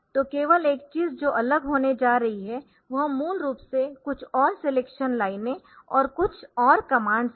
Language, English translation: Hindi, So, only thing that is going to differ is basically some more selection lines and some more commands ok